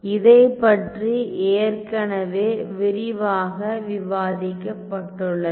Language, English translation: Tamil, So, this is already been discussed in great detail right